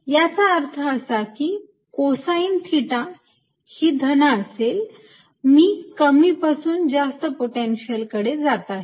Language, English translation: Marathi, so that means cos theta is positive, i am moving from lower to higher potential, right